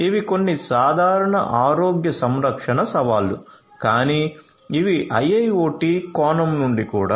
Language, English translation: Telugu, These are some of the generic healthcare challenges, but from an IIoT perspective as well